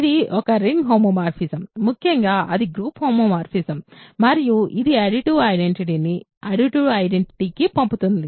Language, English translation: Telugu, It is a ring homeomorphism; in particular, it is a group homomorphism and it sends the additive identity to additive identity